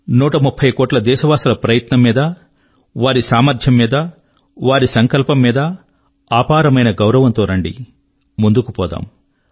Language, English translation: Telugu, Let's show immense faith in the pursuits actions, the abilities and the resolve of 130 crore countrymen, and come let's move forth